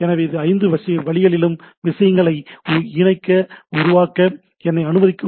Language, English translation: Tamil, So, if we know this 5 step allow me to connect to the things